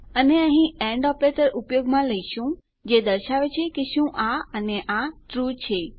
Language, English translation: Gujarati, And we are using the and operator here which says Is this true AND is this true